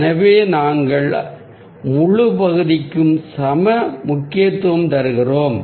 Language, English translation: Tamil, so we give equal importance to the whole area